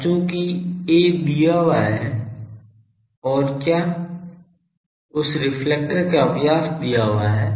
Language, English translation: Hindi, Now, also I can since the a is given, what else that diameter of the reflector is given